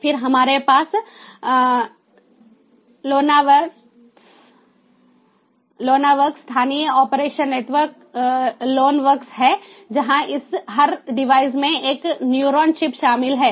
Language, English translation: Hindi, then we have the lonworks ah, local ah, operation networks, lonworks where every device includes a neuron chip